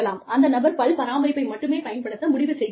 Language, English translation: Tamil, You know, the person decides to use, only dental care